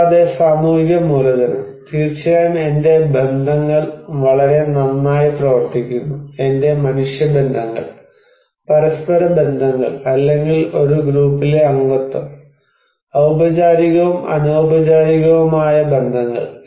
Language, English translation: Malayalam, And social capital, of course my network, network works very well, my human networks, connections with each other or membership in a group, formal and informal